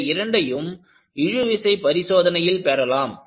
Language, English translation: Tamil, I can get both of this, from a tension test